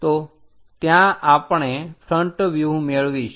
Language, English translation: Gujarati, So, that is what we are going to get as front view